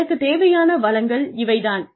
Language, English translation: Tamil, These are the resources, I will need